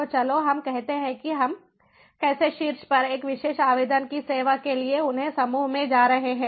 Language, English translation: Hindi, so let us say how we are going to group them to serve a particular application on top